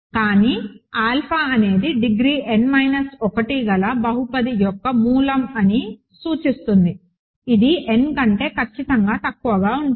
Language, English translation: Telugu, But, this implies alpha is a root of a polynomial of degree n minus 1, right which is strictly less than n